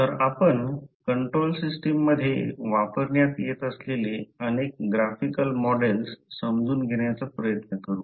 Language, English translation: Marathi, So let us try to understand what are the various graphical models used in the control systems